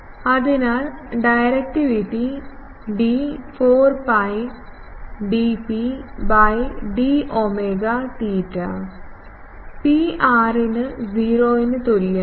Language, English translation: Malayalam, So, directivity D is 4 pi dP by d omega f theta is equal to 0 by Pr